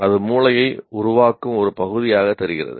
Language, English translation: Tamil, That seems to be part of the making of the brain itself